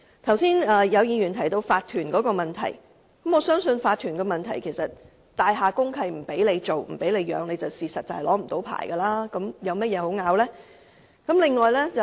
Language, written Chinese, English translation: Cantonese, 剛才有議員提到法團的問題，我相信如果大廈公契訂明不准飼養動物，在住所進行的狗隻繁殖便無法領取牌照，那還有甚麼可爭拗的呢？, Earlier on a Member mentioned about the owners corporation . I trust that if the deed of mutual covenant of a building prohibits the keeping of animals it would be impossible for an applicant to obtain a licence for the breeding of dogs in domestic premises . So what is the point of arguing?